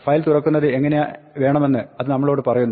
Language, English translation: Malayalam, This tells us how we want to open the file